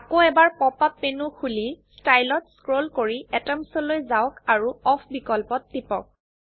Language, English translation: Assamese, Open the pop up menu again and go to Style scroll down to Atoms and click on Off option